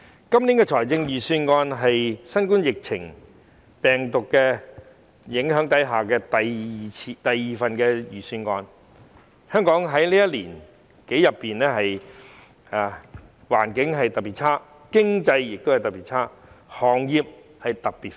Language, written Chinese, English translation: Cantonese, 今年的財政預算案是在新冠病毒疫情影響下的第二份預算案，香港在這一年多裏，環境特別差、經濟特別差、行業特別苦。, The Budget is the second budget announced under the influence of the novel coronavirus epidemic . For more than a year in Hong Kong the environment has been particularly bad the economy particularly poor and the situation for industries particularly tough